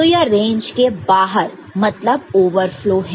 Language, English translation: Hindi, So, it is out of range so, there is overflow